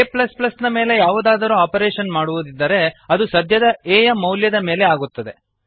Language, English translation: Kannada, If an operation is performed on a++, it is performed on the current value of a